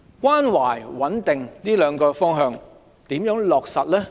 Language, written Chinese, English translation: Cantonese, 關懷和穩定這兩個方向如何落實呢？, How to put in place a caring and stable education environment?